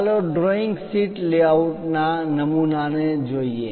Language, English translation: Gujarati, Let us look at a template of a drawing sheet layout